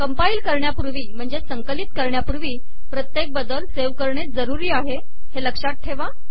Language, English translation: Marathi, It is to be understood, that after every change we need to save before compilation